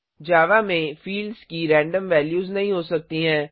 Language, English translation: Hindi, In Java, the fields cannot have random values